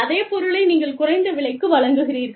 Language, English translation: Tamil, You offer the same thing, for a lower price